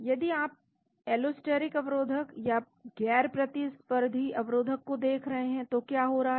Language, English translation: Hindi, If you look at allosteric inhibition or non competitive inhibition what is happening